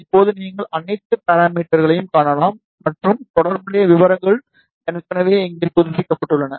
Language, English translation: Tamil, Now, you can see all the parameters and corresponding details are already updated here